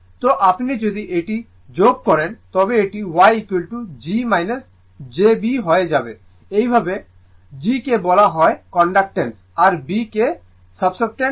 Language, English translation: Bengali, So, if you add this right it will become Y is equal to g minus jb right this way g is called Conductance b is called Susceptance right